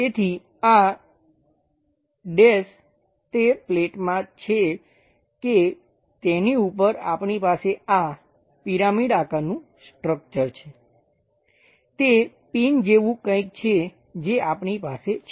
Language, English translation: Gujarati, So, this is dash one goes via that a plate on top of that we have this kind of pyramid kind of structure which is something like a pin we have it